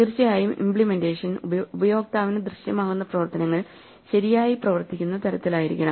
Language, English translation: Malayalam, Of course, the implementation must be such that the functions that are visible to the user behave correctly